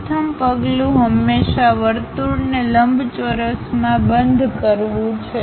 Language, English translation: Gujarati, The first step is always enclose a circle in a rectangle